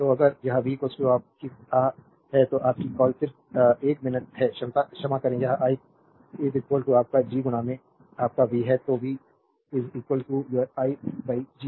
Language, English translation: Hindi, So, if it is v is equal to your ah, your what you call just 1 minute, sorry this is i is equal to your G into your v, therefore, v is equal to your i by G